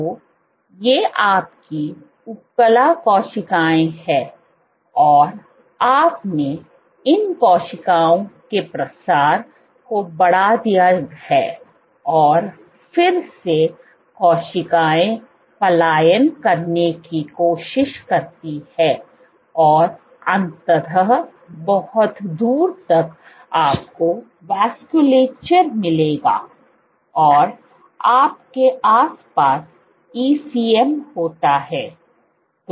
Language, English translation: Hindi, So, these are your epithelial cells and you have increased proliferation of these cells and then these cells try to start to migrate and eventually very far off you would have the vasculature, and in and around you have the ECM